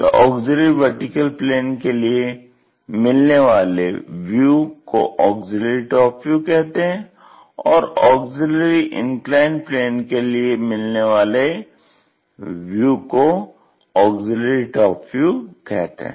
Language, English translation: Hindi, So, a auxiliary vertical plane, the projections what we are going to achieve are called auxiliary front views and for a auxiliary inclined plane the projections what we are going to get is auxiliary top views